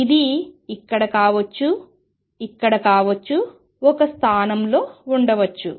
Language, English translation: Telugu, It may be here, it may be here, at one position